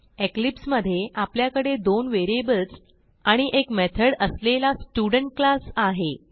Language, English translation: Marathi, In eclipse, I have a class Student with two variables and a method